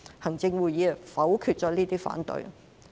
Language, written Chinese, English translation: Cantonese, 行政會議否決了這些反對。, The Executive Council subsequently rejected all these opposing views